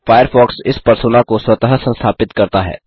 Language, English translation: Hindi, Firefox installs this Persona automatically